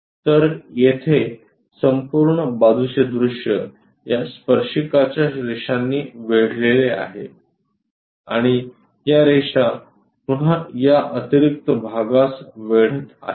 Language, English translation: Marathi, So, here the entire side view is bounded by these tangent lines and these lines are again bounding this extra portion